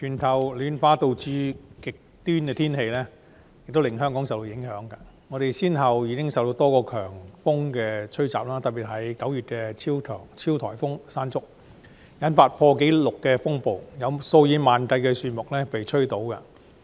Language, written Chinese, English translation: Cantonese, 主席，全球暖化引起極端天氣，香港因而受多個強風吹襲，特別是9月的超級颱風"山竹"，引發前所未見的破壞，數以萬計的樹木被吹倒。, President global warming has caused extreme weather conditions hence Hong Kong has been hit by severe typhoons notably Super Typhoon Mangkhut in September . The damage was unprecedented with tens of thousands of trees being blown down